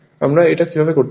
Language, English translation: Bengali, How you will do this